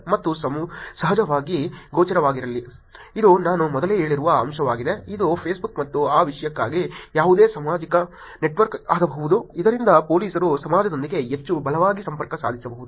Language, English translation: Kannada, And stay visible of course, this is the point I have said earlier, which is Facebook and any social network for that matter can become the way by which police can actually connect with society most strongly